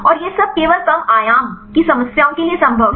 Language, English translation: Hindi, And all it is feasible only for low dimension problems